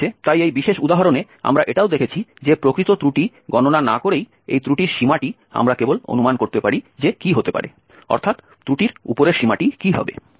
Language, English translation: Bengali, Well, so in this particular example we have also seen that this error bound without calculating the actual error, we can just estimate that what could be the, what would be the upper bound of the error